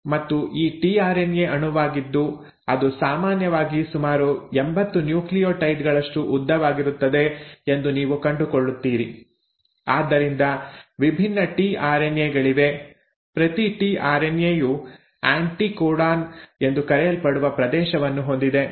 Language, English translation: Kannada, And what you find is this tRNA molecule which is usually about 80 nucleotides long, so there are different tRNAs; each tRNA has a region which is called as the “anticodon”